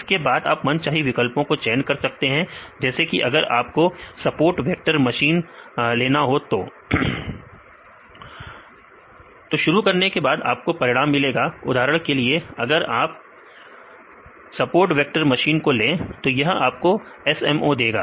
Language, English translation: Hindi, If you keep the starts, but this will give you this result; for example, if you take this support vector machines this will give this is the SMO